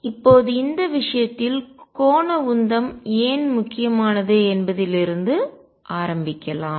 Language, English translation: Tamil, So, let us begin as to why angular momentum becomes important in this case